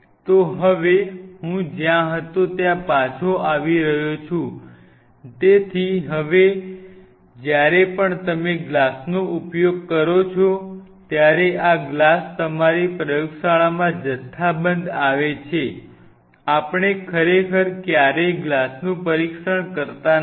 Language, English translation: Gujarati, So now, coming back where I was, so now whenever you are using glass so these glasses arrive at your disposal in your lab in bulk we really never test a glass